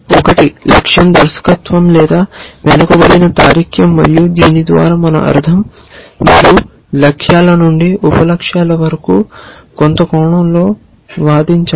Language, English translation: Telugu, One is goal directed or backward reasoning and by this we mean that you reason from goals to sub goals in some sense